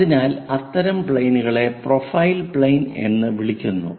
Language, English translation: Malayalam, So, such kind of planes are called profile planes